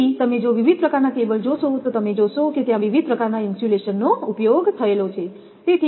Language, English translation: Gujarati, So, different type of if you see those cables I mean in your then you will see different type of insulations are used